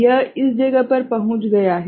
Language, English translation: Hindi, So, it has reached this place right